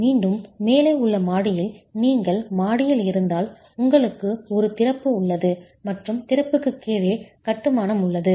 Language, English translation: Tamil, Again, if you have in the floor above, in the story above, you have an opening that is occurring and you have masonry below the opening